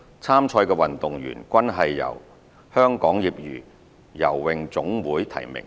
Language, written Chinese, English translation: Cantonese, 參賽的運動員均是由香港業餘游泳總會提名。, All athletes who competed in these events were nominated by the Hong Kong Amateur Swimming Association HKASA